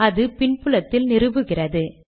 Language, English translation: Tamil, And it is installing it in the background